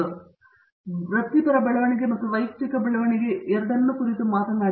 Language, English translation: Kannada, So, it talks about both professional growth and personal growth